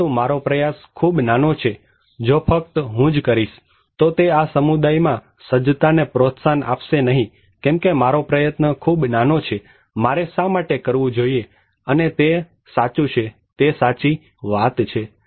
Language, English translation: Gujarati, But my effort is too little, if only I do it, it would not promote the preparedness in this community, because my effort is too little, why should I do it and that is true; that is true